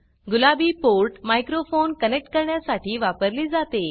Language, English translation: Marathi, The port in pink is used for connecting a microphone